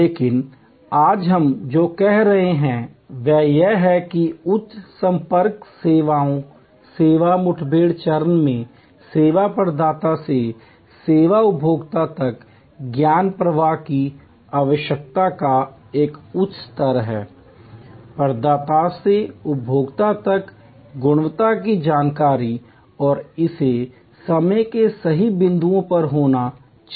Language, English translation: Hindi, But, what we are saying today is that in the service encountered stage in the high contact service, there is a higher level of need for knowledge flow from the service provider to the service consumer, quality information flow from the provider to the consumer and it has to be at right points of time